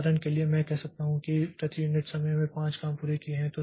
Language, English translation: Hindi, For example, I can say that there are five jobs completed per unit time